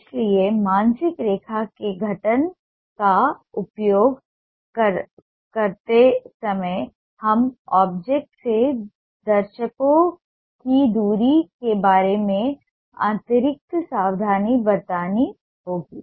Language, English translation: Hindi, so while using the mental line formation we will have to be extra careful regarding the viewers distance from the object